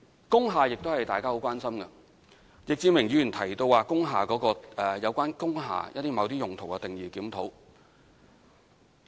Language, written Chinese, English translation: Cantonese, 工廈亦是大家很關心的議題，易志明議員提到對有關工廈用途定義的檢討。, Industrial building is another major concern of ours . Mr Frankie YICK suggested reviewing the definition of the use of industrial buildings